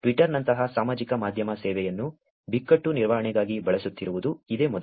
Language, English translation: Kannada, This is the first time ever social media service like Twitter was actually used for crisis management